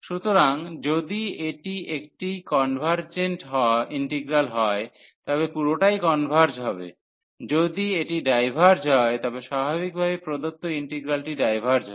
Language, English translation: Bengali, So, if it is a convergent integral, then everything will converge; if it diverges naturally, the given integral will diverge